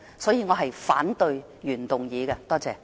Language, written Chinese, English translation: Cantonese, 所以，我反對原議案。, For the above reasons I oppose the original motion